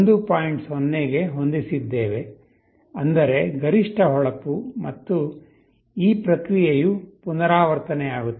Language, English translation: Kannada, 0, which means maximum brightness and this process repeats